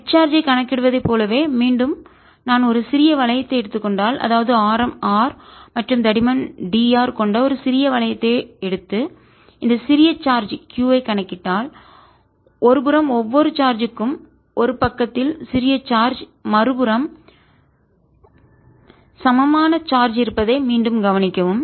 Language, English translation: Tamil, the force on the charge is going to be, again if i take a small ring, as i did in calculating the total charge, if i take a small ring of radius r and thickness d, r and calculate the force due to this on this small charge q, again, notice that for each charge on one side, small charge on one side, there is an equal charge on the other side and therefore these charges come in pairs